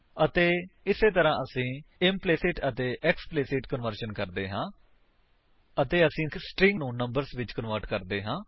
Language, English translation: Punjabi, And this is how we do implicit and explicit conversion and how we convert strings to numbers